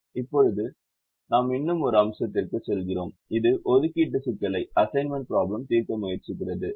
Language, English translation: Tamil, now we move to one more aspects, which is to try and solve the assignment problem